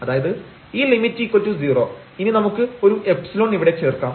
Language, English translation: Malayalam, So, this term minus 0 which is 0 here so this term is equal to epsilon